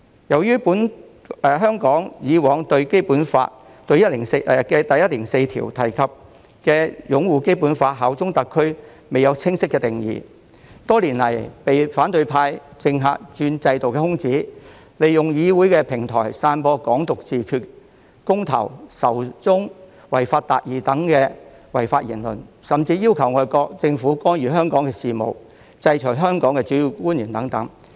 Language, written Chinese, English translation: Cantonese, 由於香港以往對《基本法》第一百零四條中提及的"擁護《基本法》和效忠特區"均未有清晰的定義，多年來被反對派及政客鑽制度的空子，利用議會平台散播"港獨自決"、公投、仇中及"違法達義"等違法言論，甚至要求外國政府干預香港事務、制裁香港的主要官員等。, As the expression of uphold the Basic Law and bear allegiance to SAR mentioned in Article 104 of the Basic Law in Hong Kong has not been clearly defined the opposition camp and politicians have exploited the loopholes in the system over the years . They have used the legislature as a platform to disseminate illegal remarks on self - determination over Hong Kongs independence referendum hatred against China and achieving justice by violating the law and even requested foreign governments to interfere with Hong Kong affairs and sanction principal officers in Hong Kong